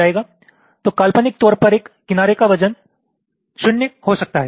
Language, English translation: Hindi, so so with respect to the imaginary one, the edge weight can be zero